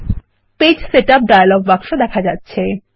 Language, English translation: Bengali, The Page setup dialog box is displayed